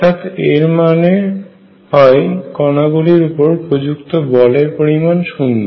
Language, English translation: Bengali, And what that means, is that the force on the particles is equal to 0